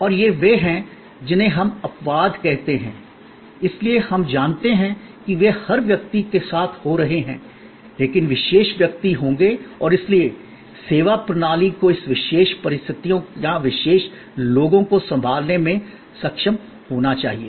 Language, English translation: Hindi, And these are what we call exceptions, so we know that, they are happening with every person, but there will be special persons and therefore, services system should able to handle this special circumstances or special people